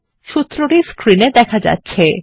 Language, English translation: Bengali, And the formula is as shown on the screen